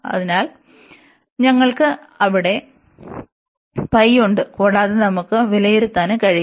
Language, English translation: Malayalam, So, we have pi there, and the integral also we can evaluate